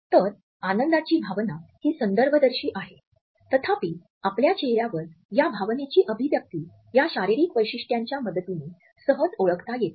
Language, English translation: Marathi, So, the emotion of happiness is contextual; however, the expression of this emotion on our face can be easily recognized with the help of these physical features